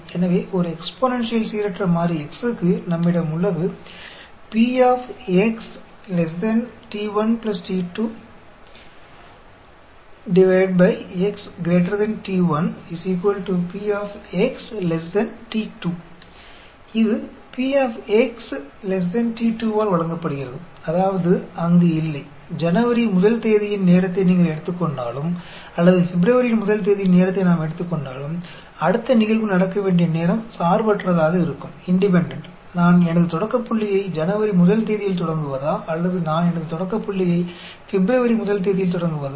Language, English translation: Tamil, So, for a exponential random variable X, we have P X less than t 1 plus t 2, X greater than t 1, is given by P X less than t 2; that means, there is no, whether you take a time on January first, or whether we take time on February first, the time for the next event to happen will be independent; whether I start my starting point as January first, or I start my starting point as February first